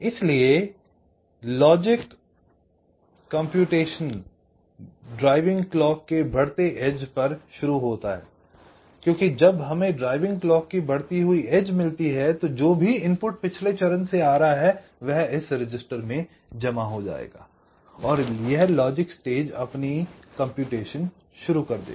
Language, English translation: Hindi, because when we get the rising edge of driving clock, that whatever is the input that is coming from the previous stage, that will get stored in this register and this logic stage will start its calculations or computation